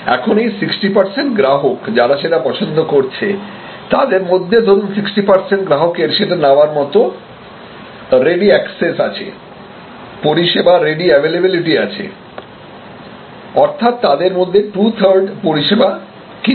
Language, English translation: Bengali, Of the 60 percent who prefer and suppose 60 percent of them have ready access, ready availability of your services, then we can see two third of them will purchase